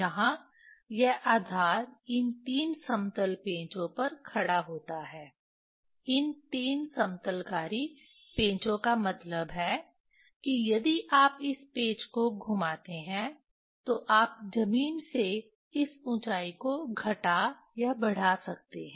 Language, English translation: Hindi, Vernier this base is stands on this 3 leveling screw this leveling screw means if you rotate this screw, then you can just decrease or increase the this height from the ground